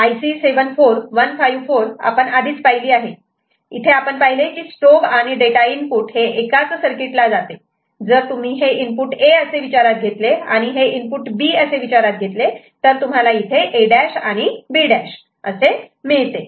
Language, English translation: Marathi, So, IC 74154, we had seen before, in this we have noted that that the strobe and data input are going to the same circuit over here same this is basically your if you consider this as input A and this is considered as input B, so this is what you are getting here is A prime and B prime